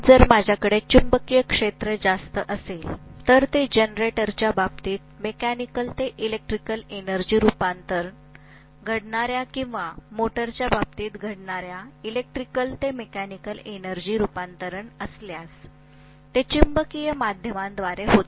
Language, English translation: Marathi, So if I have higher magnetic field, obviously the electrical to mechanical energy conversion that takes place in the case of a motor or mechanical to electrical energy conversion that takes place in the case of generator, it happens through magnetic via media